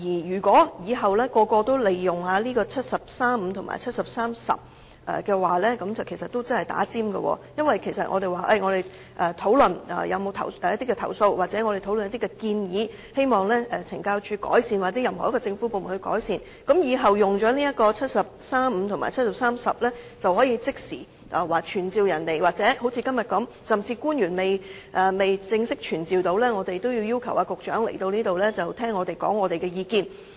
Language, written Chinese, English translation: Cantonese, 如果日後個個也利用《基本法》第七十三條第五項及第七十三條第十項動議的議案，其實是插隊的做法，因為如果我們要就某些投訴或建議，希望懲教署或任何一個政府部門改善，日後有議員利用《基本法》第七十三條第五項及第七十三條第十項，便可即時要求傳召官員，或好像今天這樣，甚至官員尚未正式傳召，我們已要求局長出席會議聆聽我們的意見。, The fact that Members move motions pursuant to Articles 735 and 7310 of the Basic Law in future will be tantamount to jumping the queue . That is to say if Members have any complaint or recommendation and they want CSD or any other government department to make improvement they can move motions pursuant to Articles 735 and 7310 of the Basic Law in order to summon officials to attend before the Council; or just like what we are doing today they may require the Secretary to attend the meeting and listen to our views before the relevant official is being officially summoned